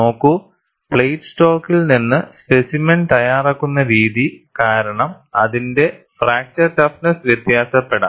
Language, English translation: Malayalam, See, because the way the specimen is prepared from the plate stock, its fracture toughness may vary